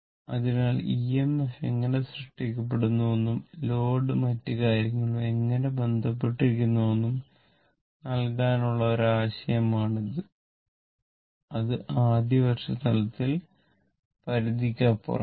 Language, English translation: Malayalam, So, this is an idea to give you how EMF is generated and how the your load and other thing is connected that is beyond the scope at the first year level